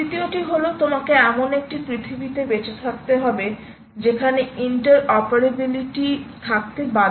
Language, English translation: Bengali, the third thing is: you are bound to live in a world where there has to be interoperability